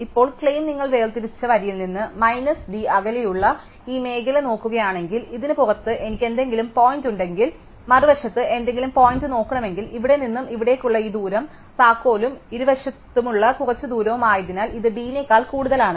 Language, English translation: Malayalam, Now, the claim is that if you look at this zone here which is plus minus d distance away from the separated line, then if I have some point outside this and if I want to look at any point across on the other side, this distance from here to here is key plus some distance on either side therefore, it is more than d